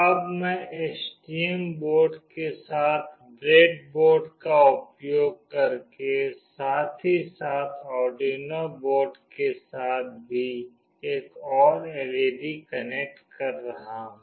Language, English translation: Hindi, Now I will be connecting another LED using breadboard with the STM board, as well as with the Arduino board